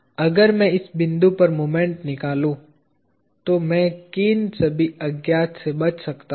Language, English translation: Hindi, If I take moment about this point, what all unknowns can I avoid